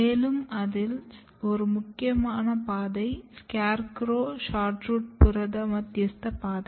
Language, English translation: Tamil, And one of the pathway is SCARECROW SHORTROOT protein mediated pathway